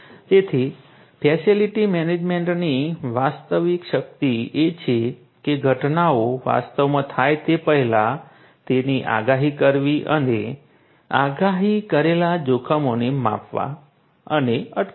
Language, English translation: Gujarati, So, the real power of facility management is to predict the events before they actually occur and to measure and prevent the predicted hazards